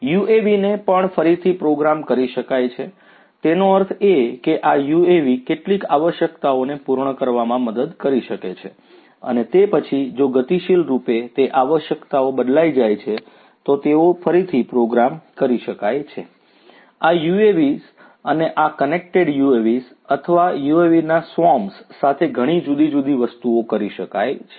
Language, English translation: Gujarati, UAVs can also be made reprogrammable so; that means, these UAVs can help you know cater to certain requirements and then dynamically those requirements if they change, they can be reprogrammed, you know many different things can be done with these UAVs and these connected UAVs or swarms of UAVs